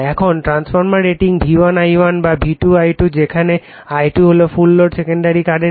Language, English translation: Bengali, Now, transformer rating is either V1 I1 or V2 I2 when I2 is the full load say secondary current